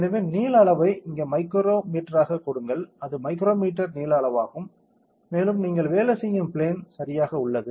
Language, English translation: Tamil, So, give the length scale here as micro meter it is micrometre length scale and you have the work plane correct